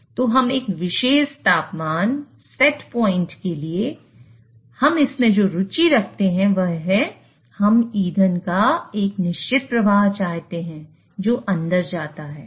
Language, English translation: Hindi, So what we are interested in is for a particular temperature set point, we want a certain flow of the fuel which goes in